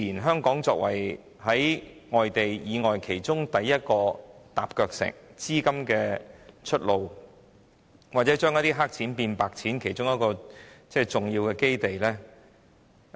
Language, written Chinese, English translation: Cantonese, 香港作為內地對外的第一個"踏腳石"，自然成為資金的出路，或將"黑錢"變成"白錢"的重要基地。, Hong Kong as the Mainlands first stepping stone to the world has naturally become the outlet of capital and also an important base where black money is turned into white money